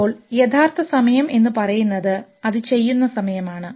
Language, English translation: Malayalam, Now real time is when it is just doing it